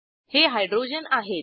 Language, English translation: Marathi, These are the Hydrogens